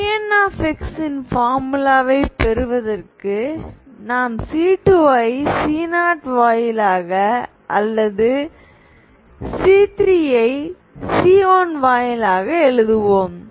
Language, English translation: Tamil, So what do we do is to derive the formula for Pn, instead of writing C2 in terms of C0 or here 1 in terms of or C 3 in terms of C1